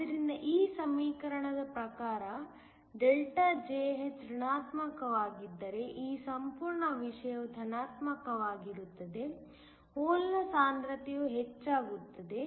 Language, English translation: Kannada, So, if delta ΔJh according to this equation is negative then this whole thing is positive, there is a increase in the hole concentration